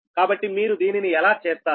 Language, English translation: Telugu, so how you will do this, right